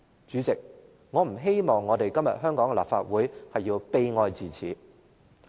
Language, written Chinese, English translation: Cantonese, 主席，我不希望今天的香港立法會會悲哀至此。, President I hope that the Legislative Council of Hong Kong today will not be relegated to such a pathetic state